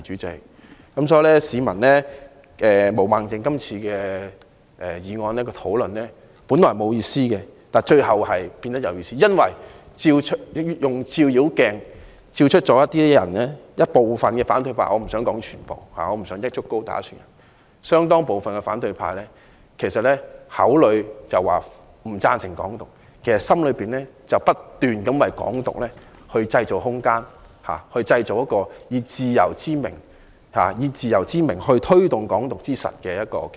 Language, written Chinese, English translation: Cantonese, 代理主席，毛孟靜議員議案的辯論本來是沒有意思的，但最後變得有意思，因為照妖鏡照出了部分反對派——我不想說全部，我不想一竹篙打一船人——口裏說不贊成"港獨"，其實內心希望不斷為"港獨"製造空間，製造一個以自由之名推動"港獨"之實的平台。, Deputy President the debate on Ms Claudia MOs motion was originally devoid of any meaning but it has ultimately become meaningful for a Foe - Glass has exposed some opposition Members―I do not want to tar all opposition Members with the same brush―who claim that they do not support Hong Kong independence but actually hope to constantly create room for Hong Kong independence and create a platform for promoting Hong Kong independence in the name of freedom